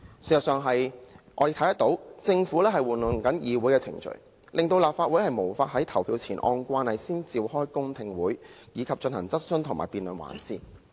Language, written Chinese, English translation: Cantonese, 事實上，我們看到政府正在玩弄議會程序，令立法會無法在投票前按慣例先召開公聽會，以及進行質詢和辯論環節。, We see that the Government is actually manipulating parliamentary procedures such that the Legislative Council is unable to convene public hearing sessions according to usual practice for questioning and debating on the motion before it is put to the vote